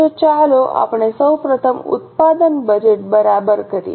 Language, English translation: Gujarati, So, first of all, let us make production budget